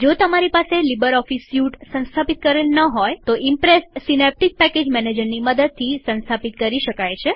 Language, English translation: Gujarati, If you do not have LibreOffice Suite installed, Impress can be installed by using Synaptic Package Manager